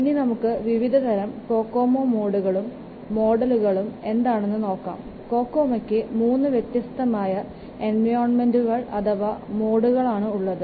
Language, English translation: Malayalam, See let's first see the Kokomo modes as I have already told you there are three modes or three environments for Kokomo